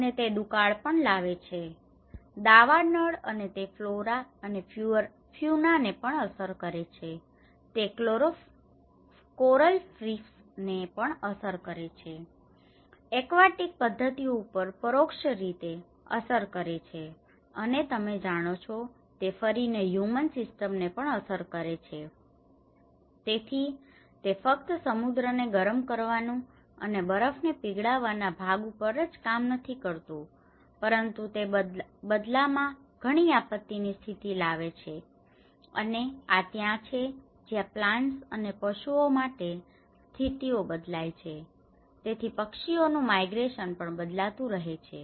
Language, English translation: Gujarati, And it also have droughts, wildfires and it also affects the flora and fauna, it also affects the coral reefs which will have an indirect effect on the aquatic system and in turn it affect the human systems you know so, it works not only on a part of just warming of the oceans and melting of snow but in turn it will have many disastrous conditions and this is where the change in the conditions for plants and animals, so as well the migration of birds also keep changing